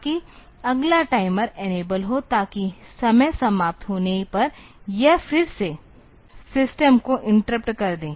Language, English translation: Hindi, So, that the next the timer is enabled; so that it will again be interrupting the system, when the timeout occurs